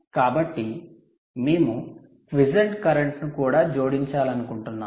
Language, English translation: Telugu, so we may want to add the quiescent current as well